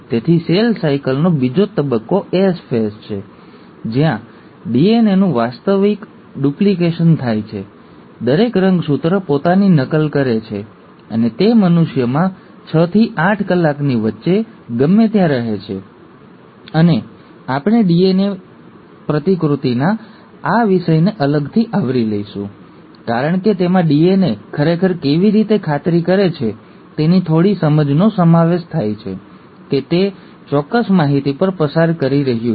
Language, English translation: Gujarati, So the second phase of cell cycle is the S phase, where the actual duplication of DNA takes place, each chromosome duplicates itself, and it lasts anywhere between six to eight hours in humans, and we’ll cover this topic of DNA replication separately, because it involves a little bit of understanding of how the DNA actually makes sure, that it is passing on the exact information